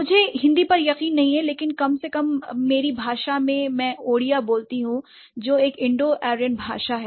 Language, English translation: Hindi, I am not sure about Hindi but at least in my language I has, I speak Odea which is an, which is an Indo ryan language